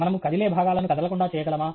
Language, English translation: Telugu, Can we make moving parts stationary and vice versa